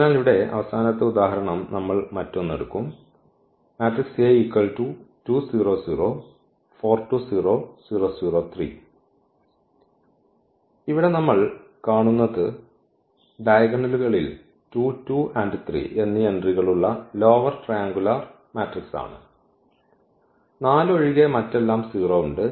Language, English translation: Malayalam, So, the last example here we will take another one where we do see this is the lower triangular matrix with entries 2 2 3 in the diagonals and then we have this 4 in the off diagonal rest everything is 0